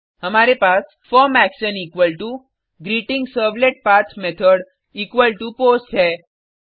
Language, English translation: Hindi, We have form action equal to GreetingServletPath method equal to POST